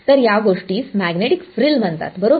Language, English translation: Marathi, So, this thing is called a magnetic frill right